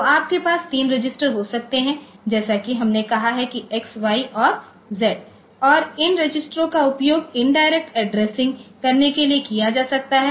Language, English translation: Hindi, So, you can there are 3 registers as we said X Y and Z and these registers can be used for indirect addressing